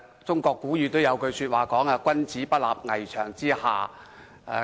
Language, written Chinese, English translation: Cantonese, 中國古語有云："君子不立危牆之下。, As the Chinese ancient saying goes a gentleman will not stand beneath a dangerous wall